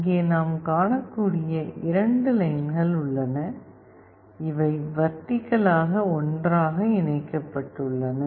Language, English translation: Tamil, There are 2 lines we can see here, these are vertically connected together